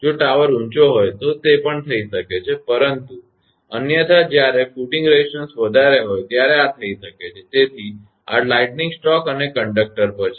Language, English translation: Gujarati, If tower is tall, it can also happen that, but otherwise when footing resistances are high this may happen; so, this is lightning stroke and on the conductor